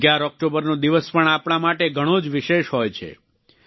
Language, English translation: Gujarati, 11th of October is also a special day for us